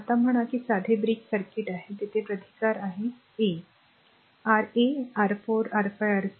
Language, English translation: Marathi, Now say simple bridge circuit is there and here you have resistance R 1, R 2, R 3, R 4, R 5, R 6